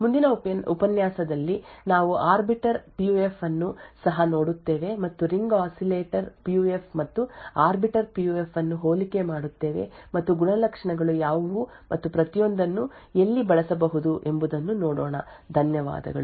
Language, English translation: Kannada, In the next lecture we will also, look at Arbiter PUF and we will also, compare the Ring Oscillator PUF and the Arbiter PUF and see what are the characteristics and where each one can be used, thank you